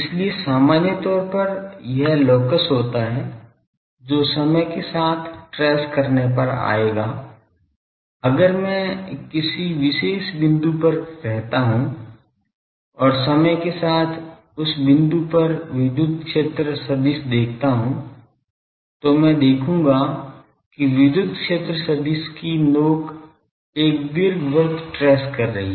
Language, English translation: Hindi, So, in general the locus that it will trace as the time progresses; if I stay at a particular point and see the electric field vector at that point over time I will see that the tip of that electric field vector is tracing a an ellipse